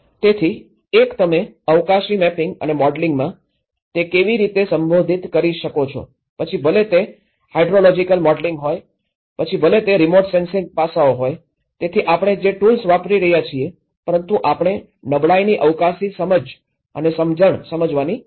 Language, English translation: Gujarati, So, one, how you can address that in the spatial mapping and the modelling, whether it is a hydrological modelling, whether it is a remote sensing aspects so, whatever the tools we are using but we need to understand the spatial understanding of the vulnerability